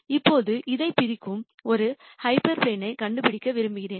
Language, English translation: Tamil, Now, I want to find a hyperplane which separates this